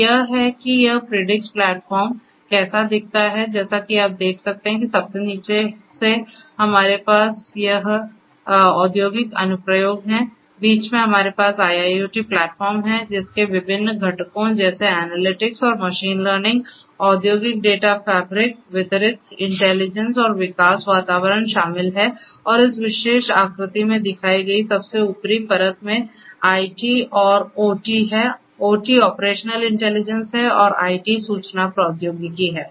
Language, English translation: Hindi, So, this is how this Predix platform looks like at the very bottom as you can see we have this industrial applications; in the middle we have the IIoT platform comprising of different components such as the analytics and machine learning, industrial data fabric distributed intelligence and development environments and the topmost layer shown in this particular figure has the IT and OT; OT is the operational intelligence and IT is the information technology